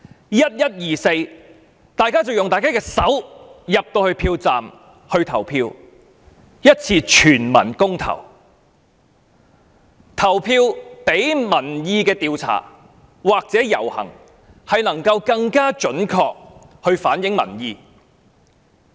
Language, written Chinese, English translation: Cantonese, 在11月24日，大家進入票站用自己的雙手投票，作出一次全民公投，投票比民意調查或遊行更能準確反映民意。, On 24 November people will cast their votes with their hands in polling stations and participate in this referendum involving everybody . This election can reflect peoples opinion more accurately than any public opinion polls or demonstrations